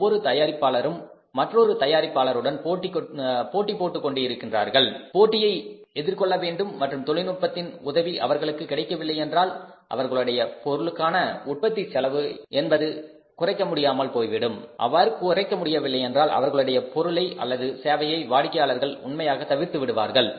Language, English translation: Tamil, All manufacturers they are say fighting with each other they have to face the competition and if they are not able to take the help of the technology reduce the cost of production then certainly the customers would reject their product or the service